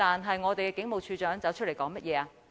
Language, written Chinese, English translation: Cantonese, 可是，我們的警務處處長站出來說甚麼？, However what did the Commissioner of Police stand out and say?